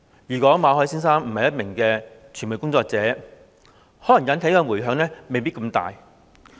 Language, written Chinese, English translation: Cantonese, 如果馬凱先生不是一名傳媒工作者，可能引起的迴響未必這麼大。, If Mr MALLET was not a media worker the incident might not have triggered such a great outcry